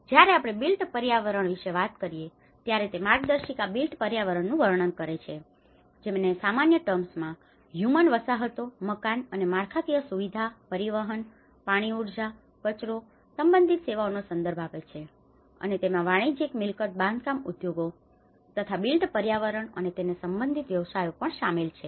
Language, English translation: Gujarati, When we talk about the built environment, the guide describes the built environment which refers in general terms to human settlements, building and infrastructure, transport, energy water, and waste and related services and it also includes the commercial property and construction industries and the built environment and the related professions